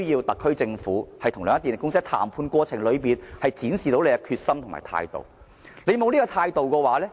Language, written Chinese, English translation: Cantonese, 特區政府與兩間電力公司，必需在談判過程中展示其決心和態度。, It is essential for the SAR Government to show its determination and firm attitude during the negotiation with the two power companies